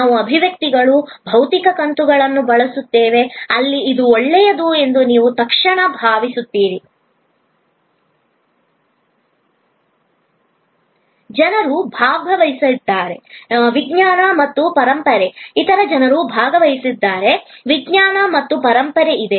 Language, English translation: Kannada, We will use expressions, physical episodes, where you immediately feel that this will be good, other people have taken part, there is science and heritage involved